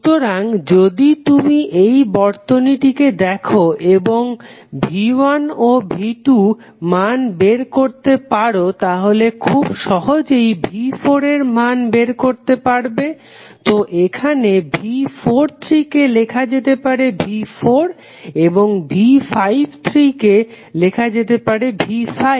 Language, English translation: Bengali, So, that means if you see this particular circuit if you are able to find the value of V 1 and V 2 you can simply find out the value of V 4, so here V 43 can be written as V 4 and V 53 can be written as V 5